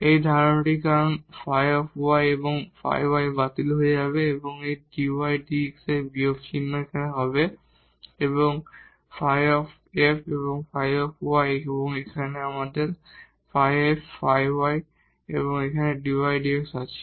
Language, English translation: Bengali, The idea is because this phi y and this phi y will get canceled and we have this with minus sign dy over dx and this del f over del y and here we have del f over del y and dy over dx